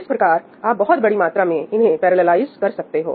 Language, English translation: Hindi, So, you can parallelize this to a large extent